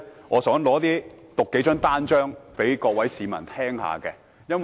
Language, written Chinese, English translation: Cantonese, 我想讀出數張傳單的標題，讓各位市民聽一聽。, Instead I want to read out the headlines of some leaflets . Members of the public please listen